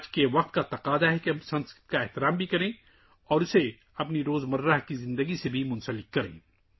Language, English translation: Urdu, The demand of today’s times is that we should respect Sanskrit and also connect it with our daily life